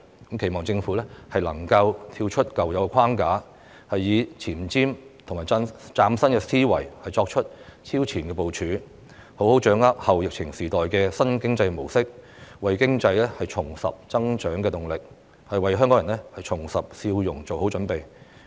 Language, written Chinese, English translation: Cantonese, 我期望政府能夠跳出舊有框架，以前瞻及嶄新思維作出超前部署，並好好掌握後疫情時代的新經濟模式，為經濟重拾增長動力、為香港人重拾笑容作好準備。, I hope the Government can break out of the existing framework make advance plans with new and forward - looking thinking and gain a good understanding of the new economic models in the post - epidemic times thereby getting ready to reinvigorate the economy and make Hong Kong people smile again